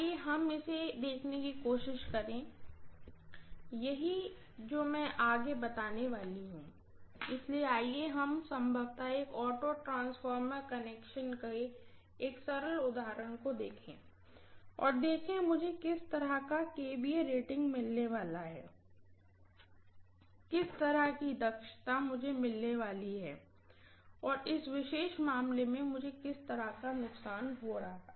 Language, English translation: Hindi, So let us try to probably look at one simple example of an auto transformer connection and see what kind of kVA rating I am going to get, what kind of efficiency, I am going to get and what kind of losses I am going to incur in this particular case